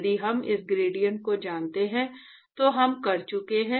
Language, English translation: Hindi, If we know this gradient, we are done